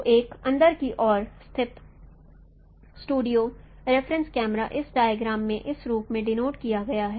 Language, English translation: Hindi, So the in our studio setup, the reference camera is denoted in this diagram in this form